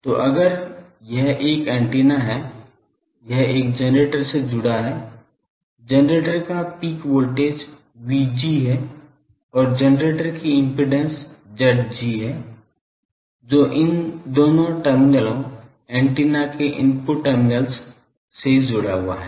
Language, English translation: Hindi, So, if this is an antenna it is connected to a generator, the generator is having a voltage peak voltage V G and, generator impedance is Z g that is connected to these so these two terminals of the input terminals of the antenna